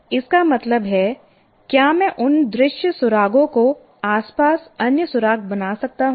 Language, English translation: Hindi, That means, can I create some kind of other clues around that, visual clues